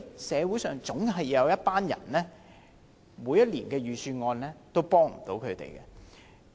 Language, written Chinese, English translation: Cantonese, 社會上總有一群人無法受惠於每年的預算案。, There are always certain groups of people in society who are unable to benefit from the budget every year